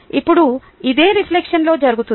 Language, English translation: Telugu, now, this is essentially what happens in reflection